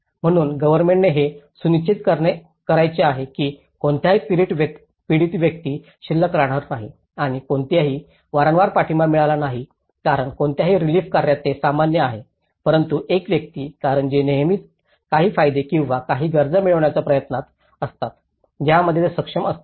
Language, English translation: Marathi, So, the government want to make sure that no victim is left out and no one gets repeated supports because it is very common in any relief stage but one person because they are always craving for certain benefits or some needs which they are able to get in that phase